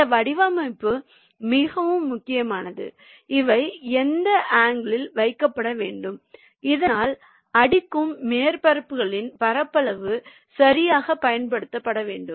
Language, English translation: Tamil, and this design is very critical, that at what angle they should be placed so that the surface area of this, your bidding surfaces, are properly utilized